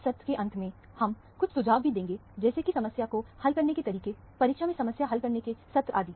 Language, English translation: Hindi, At the end of this session, we will also give some tips, as to how to approach problem solving, problem solving sessions in the examination and so on